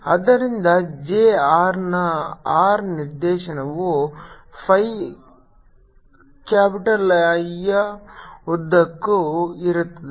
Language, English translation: Kannada, so the r direction, j r would be along the phi capitalism